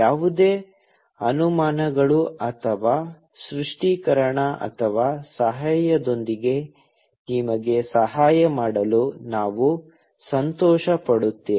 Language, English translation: Kannada, We will be happy to assist you with any doubts or clarification or help